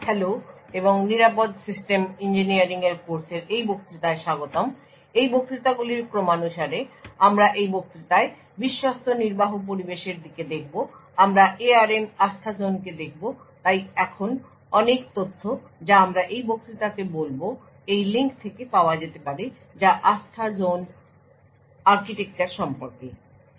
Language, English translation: Bengali, Hello and welcome to this lecture in the course for Secure Systems Engineering, so in these sequence of lectures we have been looking at Trusted Execution Environments in this lecture we will be looking at the ARM Trustzone so a lot of this information that we covering in this lecture can be obtained from this link which is about the Trustzone architecture